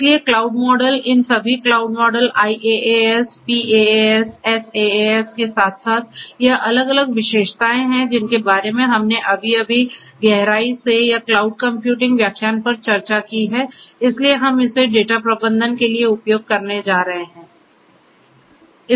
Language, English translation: Hindi, So, cloud models all these cloud models IaaS, PaaS, SaaS along with it is different characteristics that we just spoke about and to be discussed at in depth in or the cloud computing lectures so, together we are going to use it for the data management